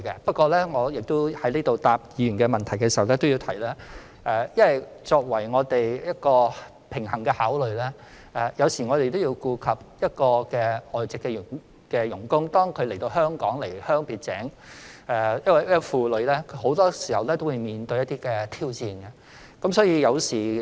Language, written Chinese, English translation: Cantonese, 不過，我在回答議員問題時亦要提出，我們要作平衡的考慮，同時要顧及外傭離鄉別井來到香港，這個重擔很多時也會令他們面對一些挑戰。, However when answering Members questions I must also point out that we have to give a balanced consideration by taking into account that FDHs have to leave their homeland to work in Hong Kong . This heavy burden of FDHs has often caused them to face some challenges